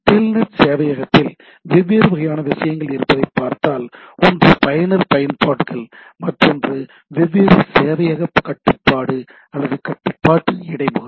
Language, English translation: Tamil, And if you look at the TELNET server have different type of things one is the user applications right, another is there are different server control or the control interface